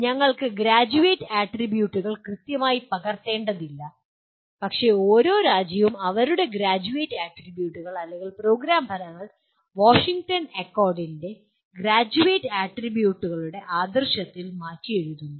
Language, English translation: Malayalam, We do not have to exactly copy the Graduate Attributes, but each country will rewrite their Graduate Attributes or program outcomes in the spirit of Graduate Attributes of Washington Accord